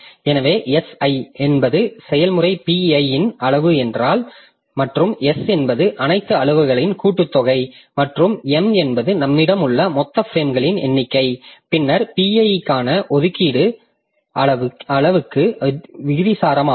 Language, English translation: Tamil, So, suppose if SI is the size of process PI, then and S is the sum of all the sizes and M is the total number of frames that we have, then the allocation for PI is proportional to the size